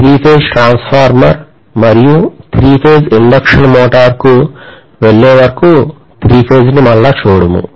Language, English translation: Telugu, So we will not revisit three phase again until we go over to three phase transformer and three phase induction motor